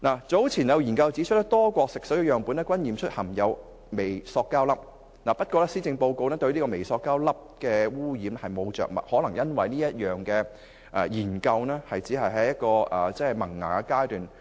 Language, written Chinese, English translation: Cantonese, 早前有研究指出，多個國家的食水樣本均驗出含有微膠粒，但施政報告對微膠粒污染並無着墨，可能這是因為有關項目只剛處於萌芽階段。, Earlier studies have shown that samples of fresh water in many countries worldwide contain microplastics . However the Policy Address has said nothing about microplastics pollution . I guess it is because the issue is still at the initial stage